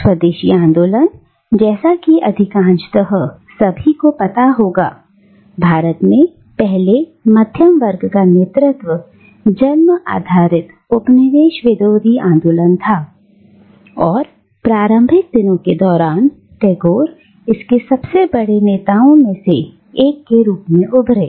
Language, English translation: Hindi, And Swadeshi movement, as most of you will know, was the first middle class led, mass based, anti colonial movement in India and Tagore emerged as one of its tallest leaders during the early days